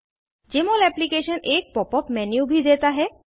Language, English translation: Hindi, Jmol Application also offers a Pop up menu